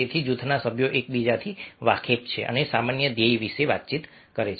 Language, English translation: Gujarati, so group members are aware of one another and communicate about the common goal